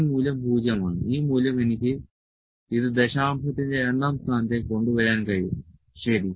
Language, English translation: Malayalam, This value is there this value is 0, and this value I can this bring it to the second place of decimal, ok